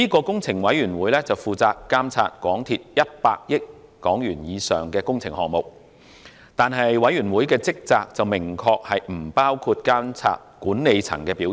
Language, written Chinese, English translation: Cantonese, 工程委員會負責監察港鐵公司100億港元以上的工程項目，但委員會的職責明確不包括監察管理層的表現。, The Capital Works Committee which oversees capital works with a value of 10 billion or above clearly does not have a duty in supervising the performance of the companys management